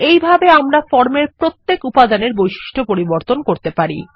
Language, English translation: Bengali, In this way, we can modify the properties of individual elements on the form